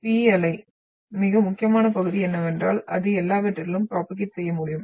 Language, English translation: Tamil, And the P wave what we are talking about, the most important part is that it can propagate through all